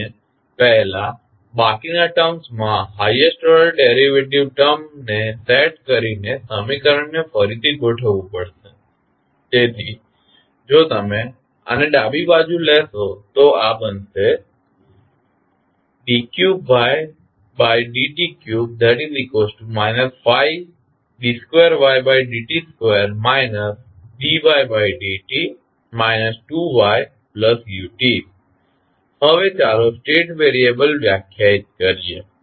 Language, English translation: Gujarati, We have to first rearrange the equation by setting the highest order derivative term to the rest of the terms, so if you take this on the left so this will become d3yt by dt3 is equal to minus 5 d2y by dt2 minus dy by dt minus 2yt plus ut